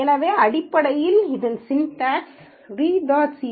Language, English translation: Tamil, So essentially the syntax is read